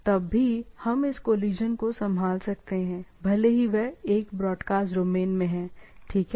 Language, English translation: Hindi, So, though we could handle this collision, but they are in the same broadcast domain, right